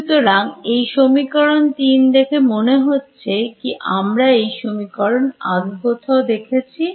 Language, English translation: Bengali, So, does this equation 3 look like does it look like something that we have seen before